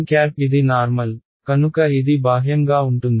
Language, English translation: Telugu, N cap is a normal, so, it is a outward